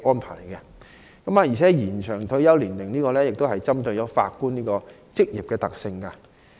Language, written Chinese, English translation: Cantonese, 此外，延長退休年齡針對法官一職的特性。, In addition the proposed extension of retirement age of judges can cater for the characteristics of judges